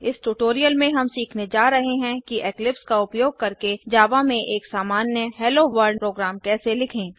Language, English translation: Hindi, In this tutorial, we are going to learn, how to write a simple Hello Worldprogram in Java using Eclipse